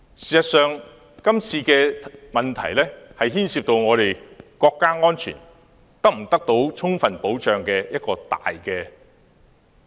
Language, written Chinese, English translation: Cantonese, 事實上，這次事件涉及國家安全是否得到充分保障。, In fact this incident involves the question of whether national security is adequately safeguarded